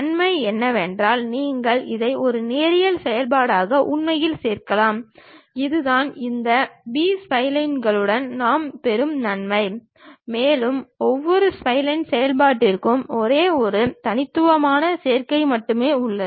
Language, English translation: Tamil, The advantage is you can really add it up as a linear function, that is the advantage what we will get with this B splines, and there is only one unique combination for each spline function